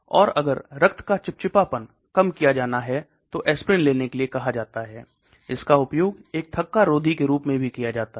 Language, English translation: Hindi, And if the blood viscosity has to be reduced they are asked to take aspirin, so that is also used as an anticoagulant